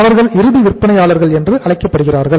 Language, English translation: Tamil, They are called as end sellers